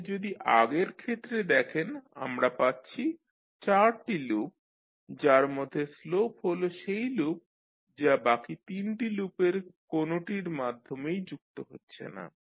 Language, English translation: Bengali, So, if you see the previous case we found 4 loops out of that the slope is the loop which is not connecting through any of the other 3 loops